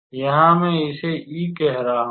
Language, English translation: Hindi, So, I am calling it as E